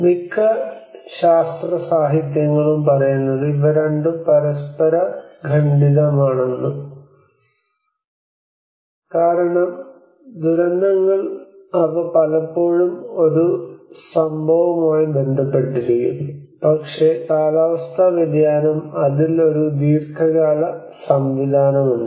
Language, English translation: Malayalam, Much of the scientific literature often does not relate that these two are interrelated because disasters they often triggered with an event, but whereas the climate change, it has a long run mechanism into it